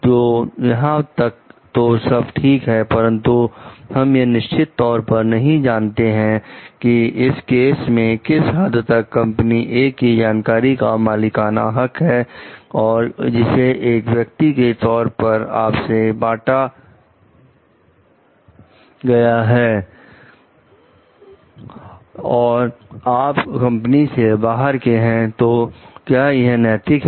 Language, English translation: Hindi, So, till here fine, but we do not know exactly here from the case like to what extent was it a proprietary like knowledge of the company A and which if shared with you as a person, who is outside the company and is like ethical